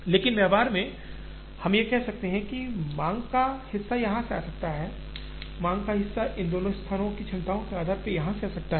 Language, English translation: Hindi, But, in practice we could say, part of the demand can come here, part of the demand can come here, depending on the capacities of these two places